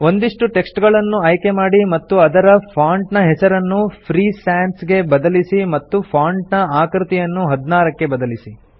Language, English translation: Kannada, Select some text and change its font name to Free Sans and the font size to 16